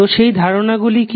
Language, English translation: Bengali, So, what are those concepts